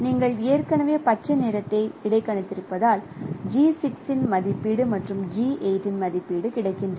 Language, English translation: Tamil, Since you have already interpolated green, so we have the estimation of G6 and estimation of G8